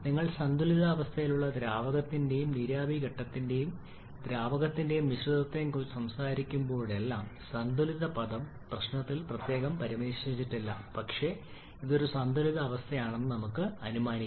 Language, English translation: Malayalam, Now here we have a rigid tank containing a mixture of liquid and vapor phase of water and whenever you are talking about the liquid and mixture of liquid and vapor phase under equilibrium, equilibrium term not specifically mentioned in the problem but we can assume it to be an equilibrium